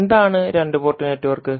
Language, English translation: Malayalam, So, what is two port network